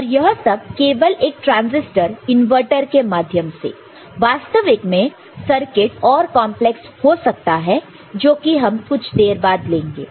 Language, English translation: Hindi, And all using a simple transistor inverter, actual circuit will be more complex which we shall take up later right